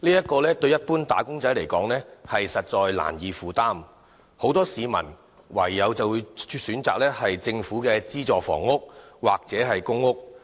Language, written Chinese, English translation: Cantonese, 這對一般"打工仔"而言實在難以負擔，因此很多市民唯有選擇政府的資助房屋或公共租住房屋。, This is indeed unaffordable to common wage earners . Thus many Hong Kong people can only turn to subsidized housing or public rental housing PRH offered by the Government